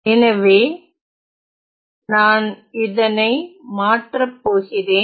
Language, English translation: Tamil, So, let me invert this relation